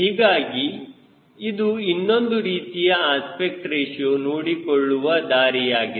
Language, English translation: Kannada, so this is another way of looking into aspect ratio